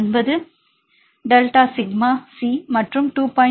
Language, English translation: Tamil, 9 into delta sigma C and 2